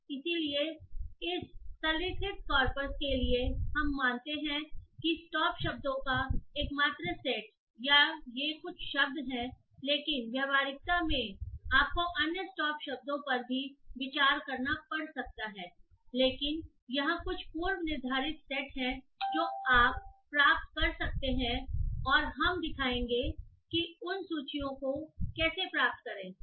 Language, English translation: Hindi, So for this simplistic corpus we assume the only set of stop words are these few words but in practicality you might have to consider other stop words as well but there are predefined sets that you can obtain